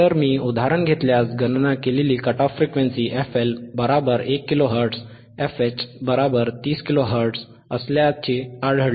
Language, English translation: Marathi, So, if I take an example, if I take an example, the calculatored cut off frequencyies wasere found to be f L equals to f L equals to 1 kilohertz, f H equals to 30 kilo hertz,